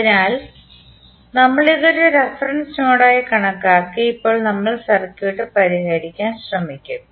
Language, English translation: Malayalam, So, we have considered this as a reference node and now we will try to solve the circuit